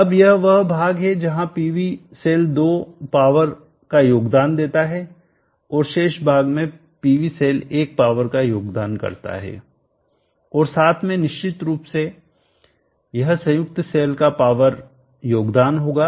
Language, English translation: Hindi, Now this is the portion where PV cell 2 contributes power and the remaining portion PV cell 1 contributes the power and together of course will be the power contribute power of the combined cell